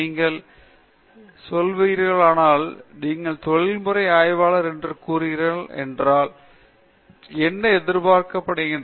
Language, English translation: Tamil, See, if you are saying that… if you are saying that you are professional researcher what is expected of you